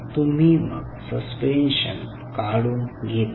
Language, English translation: Marathi, that you take out this suspension